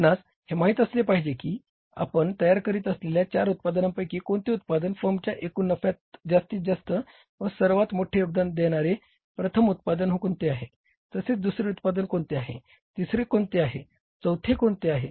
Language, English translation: Marathi, You should be knowing that out of the four products we are manufacturing which one is contributed to the maximum, maximum biggest contributor to the total profit of the firm, which is the second, which is the third, which is the fourth